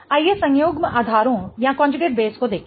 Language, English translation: Hindi, Let's look at the conjugate bases